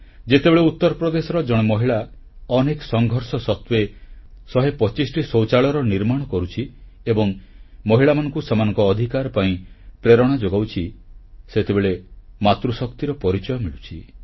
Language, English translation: Odia, In Uttar Pradesh, when a woman builds 125 toilets after overcoming steep challenges, inspiring women to exercise their due rights, it gives us a glimpse of 'Matri Shakti', the power of maternal love & caring